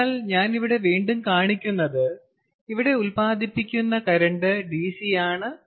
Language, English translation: Malayalam, again, the current produced over here is dc